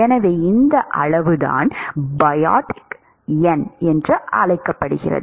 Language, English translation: Tamil, So, this quantity is what is called Biot number